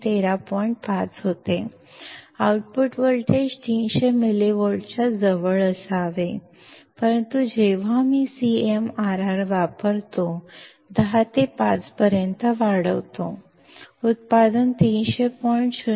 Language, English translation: Marathi, 5; the output voltage should be close to 300 millivolts, but when I use CMRR equal to 10 raised to 5; the output was 300